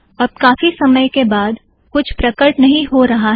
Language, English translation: Hindi, So even after several minutes, nothing else has appeared